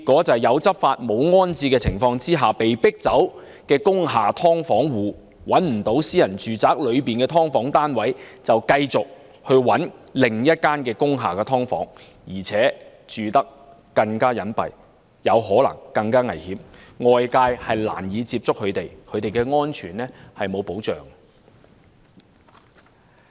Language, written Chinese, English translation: Cantonese, 在"有執法，無安置"的情況下被迫遷的工廈"劏房戶"，最終由於找不到私人住宅的"劏房"單位，只能繼續尋覓另一間工廈"劏房"，而且住得更隱蔽，可能更危險，外界難以接觸他們，其安全更無保障。, Under the circumstances of carrying out law enforcement without rehousing households living in subdivided units in industrial buildings who have been forced to move out can only search for subdivided units in another industrial building in the end as it is impossible for them to rent subdivided units in private residential buildings . They will then live at a more concealed location which may be more dangerous . It is difficult for outsiders to reach them making their safety even not protected